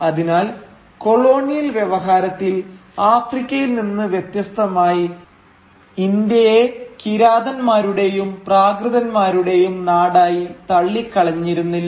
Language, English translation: Malayalam, Now in the colonial discourse, therefore, India unlike Africa was not outright dismissed as land of barbarians and savages